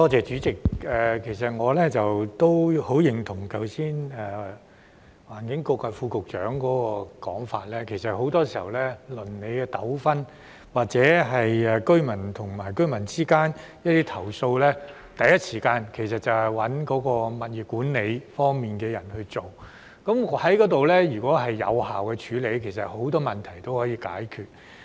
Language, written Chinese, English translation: Cantonese, 主席，我十分認同剛才環境局副局長的說法，很多時候，鄰里糾紛或是居民之間的投訴，第一時間找物業管理方面的人處理，如果這能得到有效處理，很多問題也可以解決。, President I very much agree with what the Under Secretary for the Environment has said just now . In many cases neighbourhood disputes or residents complaints against each other should be first handled by people from the property management office and if these can be handled effectively many problems can actually be solved